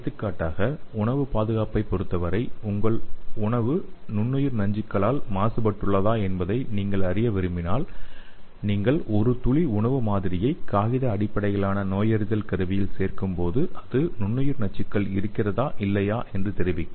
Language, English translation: Tamil, For example in case of food safety so if you want to know whether your food is contaminated with micro toxins, you add a drop of food sample to the paper based diagnostic kit and it will tell you the presence of or absence of micro toxins